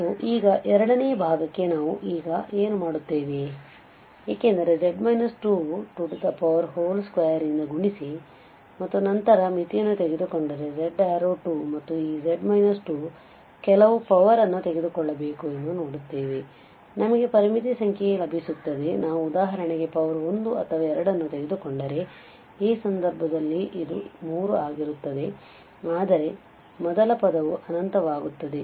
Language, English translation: Kannada, And now for the second part what we will do now because if you multiply by z minus 2 whole square and then take the limit z to 2 and this z minus 2 some power we will see what power we should take, so that we get some finite number, so if we take for instance the power 1 or 2 in this case this will be 3 but the first term will have something going to infinity so this is not going to help